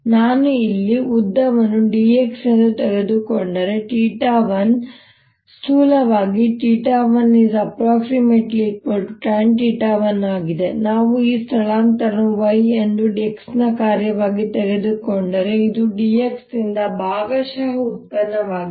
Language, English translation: Kannada, if i take the length here to be delta x, theta one is roughly tangent theta one and if we take this displacement to be y as a, the function of x, this is partial derivative d y by d x